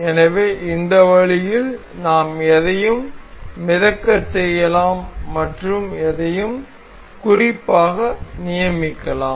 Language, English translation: Tamil, So, in this way we can make something floating and fixed some items